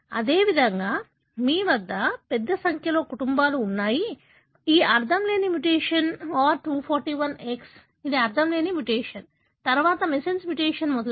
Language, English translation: Telugu, Likewise, you have a large number of families showing this nonsense mutation that is R241X, which is a nonsense mutation, followed by a missense mutation and so on